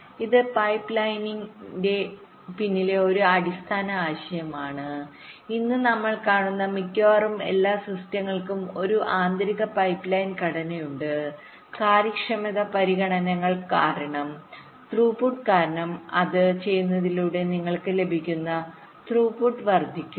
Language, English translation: Malayalam, this is a basic idea behind pipelining and almost all systems that we see today as an internal pipeline structure, because of an efficiency considerations, because of throughput increase, increase in throughput that you get by doing that